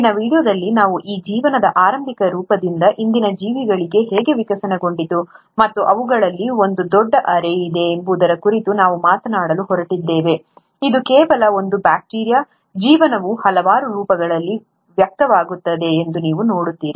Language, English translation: Kannada, In today’s video, what we’re going to talk about is that how from this early form of life, the life evolved to the present day organisms and there’s a huge array of them; it’s not just one just bacteria, you see that the life expresses itself in multiple forms